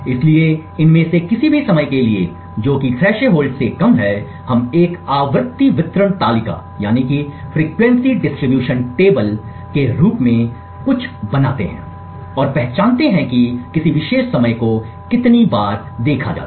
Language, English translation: Hindi, So, for any of these timing which is less than the threshold we maintain something known as a frequency distribution table and identify how often a particular time is observed